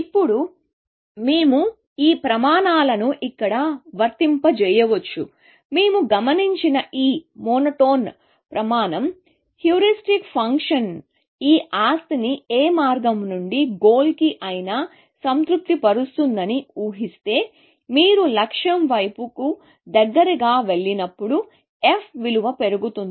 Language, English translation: Telugu, This monotone criteria that we observed, assuming that heuristic function satisfies this property from any path to the goal, this property holds that, as you go closer towards the goal, the f value increases